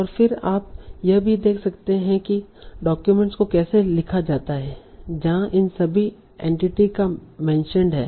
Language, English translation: Hindi, And then you can also see how the documents are written, that is where all this entity is mentioned